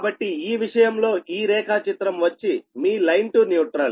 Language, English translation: Telugu, so, in this case, this diagram, this is your line to neutral